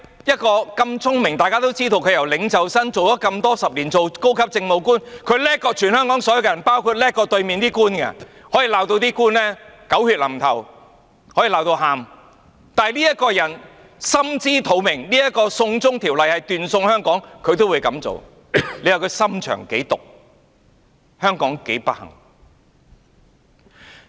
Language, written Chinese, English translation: Cantonese, 一個如此聰明的人，眾所周知，她由領袖生到做了數十年高級政務官，她比全香港人都聰明、比對面這些官員都聰明，她可以把官員罵得狗血淋頭、把他們罵到哭，但這個人心知肚明"送中條例"會斷送香港，她也這樣做，你說她的心腸有多毒，香港有多不幸？, She is cleverer than all Hong Kong people and she outsmarts those officials sitting opposite to us . She can criticize the officials ruthlessly lashing out at them until they break down in tears . But this very woman knows well that this China extradition law will ruin Hong Kong and she still pushes it forward